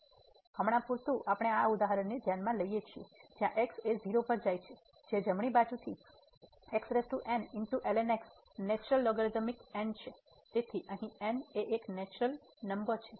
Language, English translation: Gujarati, So, for instance we consider this example the limit goes to 0 from the right side power and the natural logarithmic so, here is a natural number